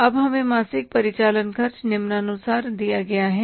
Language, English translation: Hindi, Now we are given the monthly operating expenses as follows